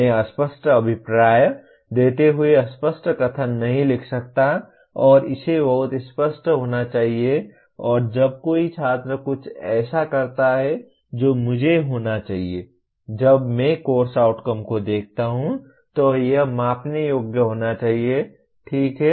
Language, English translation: Hindi, I cannot write a vague statement giving a vague intent and it has to be very clear and when a student performs something I should be, when I look at a course outcome it should be measurable, okay